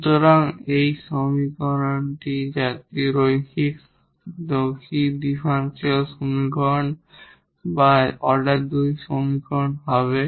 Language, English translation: Bengali, So, solution of this homogeneous linear equations the complementary function